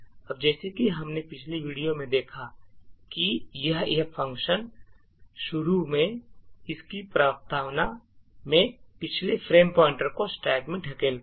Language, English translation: Hindi, Now as we have seen in the previous video what this function initially does in its preamble is that it pushes into the stack that is the previous frame pointer into the stack